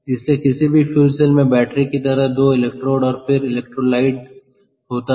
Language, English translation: Hindi, ok, so any fuel cell will have, like a battery has, two electrodes and then electrolyte